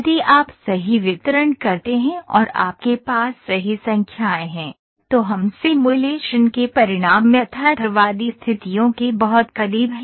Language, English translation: Hindi, So, if you put the right distribution and you have the right numbers and we having the results of the simulation very close to the realistic conditions